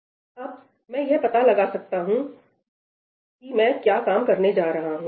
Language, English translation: Hindi, Now, I can figure out what is the work I am going to do